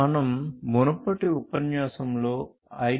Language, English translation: Telugu, So, we have gone through the IEEE 802